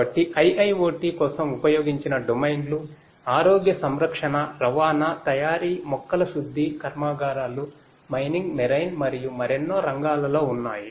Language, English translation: Telugu, So, the domains of used for IIoT lies in many different areas such as healthcare, transportation, manufacturing, plants refineries, mining, marine and many; many more